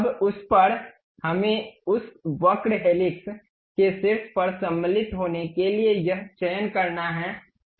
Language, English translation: Hindi, Now, on that we have to construct select this one go to insert on top of that curve helix